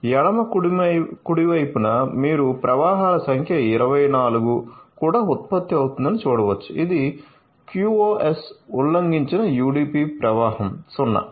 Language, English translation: Telugu, So, in the left right hand side you can see the number of flows is also generated which is 24, number of QoS violated UDP flow which is 0 ok